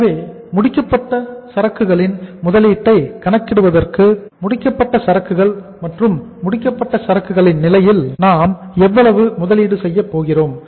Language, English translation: Tamil, So for calculating the investment in the finished goods, finished goods and for the finished goods stage how much investment we are going to make here